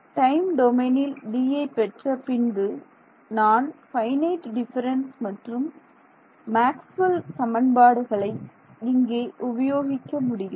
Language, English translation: Tamil, Once I get D in the time domain, I can take finite differences and use Maxwell’s equations over here